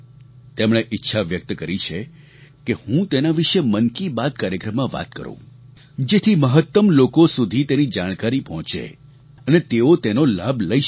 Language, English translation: Gujarati, He has expressed his wish that I mention this in 'Mann Ki Baat', so that it reaches the maximum number of people and they can benefit from it